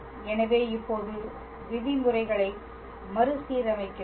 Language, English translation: Tamil, So, now we rearrange the terms